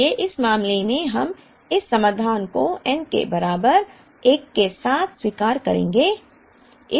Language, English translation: Hindi, Therefore, in this case we would accept this solution with n equal to 1